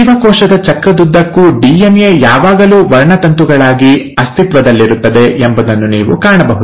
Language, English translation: Kannada, Now it is not that throughout the cell cycle, you will find that a DNA always exists as a chromosome